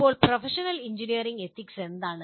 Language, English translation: Malayalam, Now, what are Professional Engineering Ethics